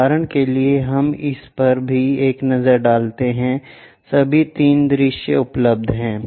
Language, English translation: Hindi, For example, let us look this one also, all the 3 views are available